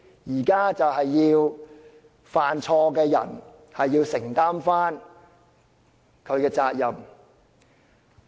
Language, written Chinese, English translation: Cantonese, 現在要做的是讓犯錯的人承擔責任。, What is left to do today is to hold the culprit accountable